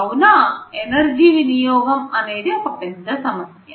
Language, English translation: Telugu, For them obviously, energy consumption is a big issue